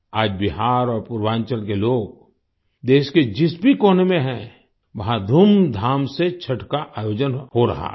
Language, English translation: Hindi, Today, wherever the people of Bihar and Purvanchal are in any corner of the country, Chhath is being celebrated with great pomp